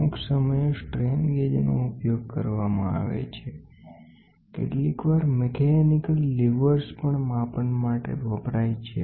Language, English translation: Gujarati, Sometime strain gauges are used; sometimes even mechanical livers are used for measurement